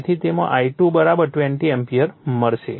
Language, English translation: Gujarati, So, from which you will get the I2 = 20 ampere